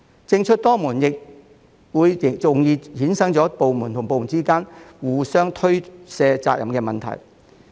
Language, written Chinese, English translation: Cantonese, 政出多門亦容易衍生出部門之間互相推卸責任的問題。, Inconsistent policies from different departments have also given rise to the problem of departments passing the buck to each other